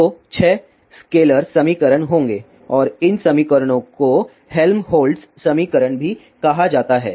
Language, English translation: Hindi, So, there will be six a scalar equations and these equations are also called as Helmholtz equation